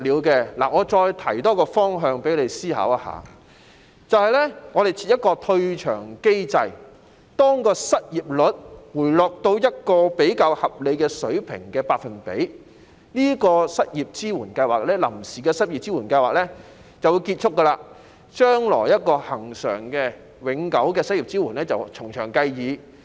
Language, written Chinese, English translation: Cantonese, 我再提出一個方向讓你思考，就是設立一個退場機制，當失業率回落到一個比較合理的百分比時，這項臨時的支援失業計劃便會結束，將來如何提供恆常及永久的失業支援可以從詳計議。, Let me further suggest a direction for your consideration and that is we can set up a mechanism for withdrawal . When the unemployment rate falls to a more reasonable percentage this provisional unemployment support scheme will end and the question of how unemployment support will be provided regularly and permanently can be discussed in detail in future